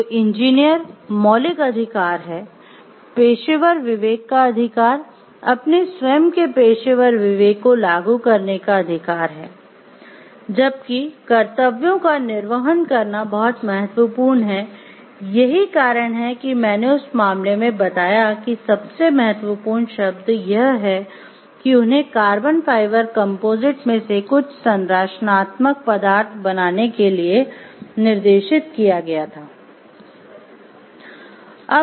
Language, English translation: Hindi, So, it is the fundamental right of the engineer is the right to the professional conscience, the right to apply own professional conscience while discharging duties is very important that is why I told like in the case the word of importance was they were directed like if you can go back to the case, they were like directed to make some of the structural members out of carbon fiber composites